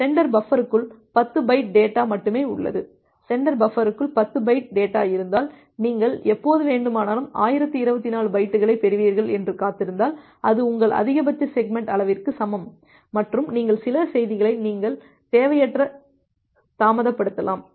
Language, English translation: Tamil, It may happened that the sender buffer have only 10 byte of data, if the sender buffer has 10 byte of data, then if you just keep on waiting for whenever you will get 1024 byte, because it is equal to your maximum segment size and you will transmit that, you may unnecessary delay certain message